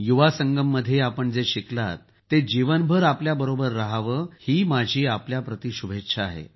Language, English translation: Marathi, May what you have learntat the Yuva Sangam stay with you for the rest of your life